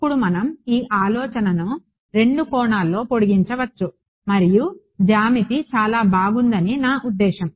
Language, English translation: Telugu, Now, we can extend this idea in two dimensions and the answer I mean the geometry again is very nice ok